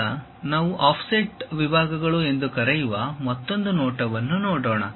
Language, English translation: Kannada, Now, let us look at another view which we call offset sections